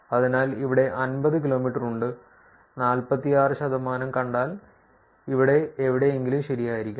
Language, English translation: Malayalam, So, here is 50 kilometers and if you see 46 percent should be somewhere here correct